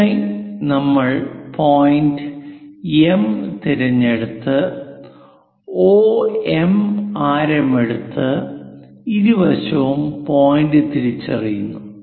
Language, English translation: Malayalam, So, for that we pick M point pick OM as radius identify the point on both the sides